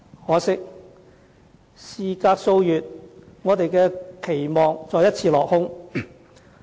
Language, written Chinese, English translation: Cantonese, 可惜，事隔數月，我們的期望再一次落空。, Regrettably in just a few months this hope was dashed again